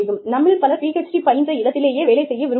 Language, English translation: Tamil, Many of us, you know, would like to continue in the place, where we earned our PhD